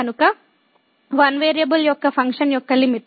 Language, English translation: Telugu, So, Limit of a Function of One Variable